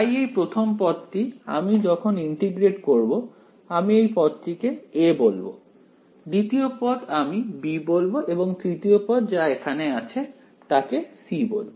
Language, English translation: Bengali, So, the first term over here when that integrates I am going to call it term a, the second term I am going to call term b and the third term over here I am going to call term c ok